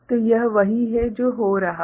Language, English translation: Hindi, So, this is what is happening